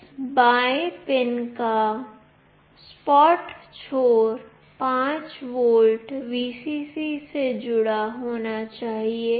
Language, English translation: Hindi, The flat end of this the left pin should be connected to 5 volt Vcc